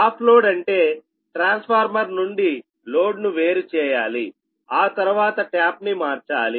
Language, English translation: Telugu, off load means you have to disconnect the load from the transformer, then you have to change the tap